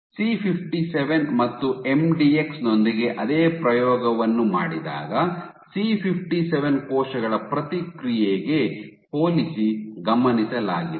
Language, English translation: Kannada, When the same experiment was done with C57 and MDX what was observed was Compared to the response of C57 cells